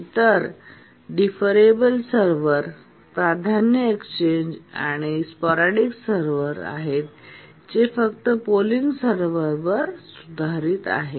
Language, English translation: Marathi, The other ones, the deferable server priority exchange and the sporadic servers are simple improvements over the polling server